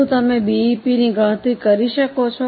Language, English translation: Gujarati, Can you calculate BEP